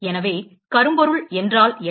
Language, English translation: Tamil, So what is a blackbody